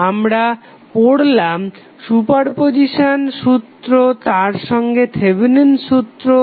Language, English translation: Bengali, We studied superposition as well as Thevenin's theorem